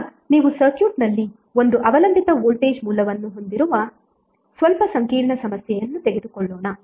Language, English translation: Kannada, Now let us take slightly complex problem where you have 1 dependent voltage source in the circuit